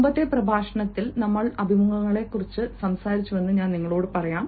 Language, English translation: Malayalam, let me tell you that in the previous lecture, we talked about interviews